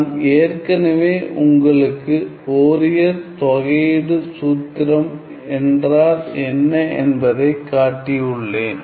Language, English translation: Tamil, I have already shown you what is the Fourier integral formula